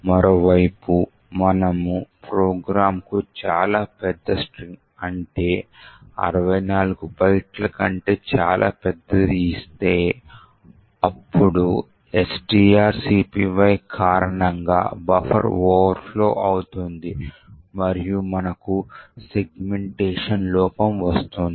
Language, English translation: Telugu, On the other hand if we give the program a very large string like this, which is much larger than 64 bytes, then as expected buffer will overflow due to the long string copy which is done and we would get a segmentation fault